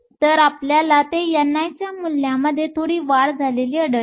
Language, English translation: Marathi, So, we find it even for a small increase in the value of n i